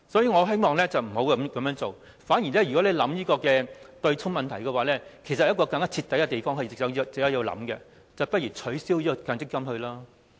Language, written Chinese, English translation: Cantonese, 我希望政府不要這樣做，反而在考慮對沖問題時，其實有一個更徹底的方案值得考慮，也就是取消強積金制度。, I hope that the Government will not do this . On the contrary in considering the offsetting issue there is actually a more thorough option worthy of consideration and that is abolition of the MPF System